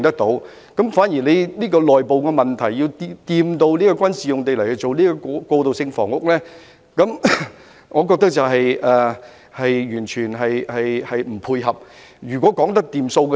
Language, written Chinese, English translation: Cantonese, 在處理這個內部問題時提及將軍事用地用作興建過渡性房屋，我覺得完全不妥。, Proposing the use of military land for transitional housing construction while we are dealing with this internal problem I find it totally inappropriate